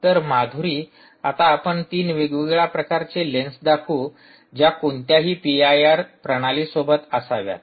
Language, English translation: Marathi, so, madhiri, we will now demonstrate three different types of lenses that should be accompanied with any p i r system